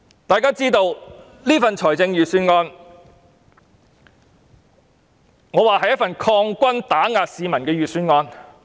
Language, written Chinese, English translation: Cantonese, 我認為這份預算案是一份擴軍打壓市民的預算案。, I think this is a Budget that expands the military force to suppress the public